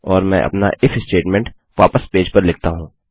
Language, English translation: Hindi, And Ill put my if statement back into my page